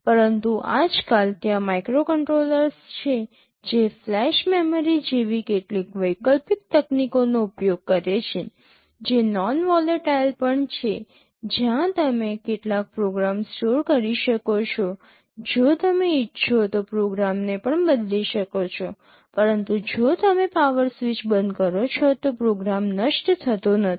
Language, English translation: Gujarati, But nowadays there are microcontrollers which use some alternate technologies like flash memory, which is also non volatile where you can store some program, you could also change the program if you want, but if you switch off the power the program does not get destroyed